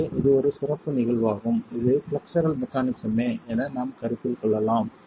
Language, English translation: Tamil, So, this is a special case that we can consider of flexual mechanism itself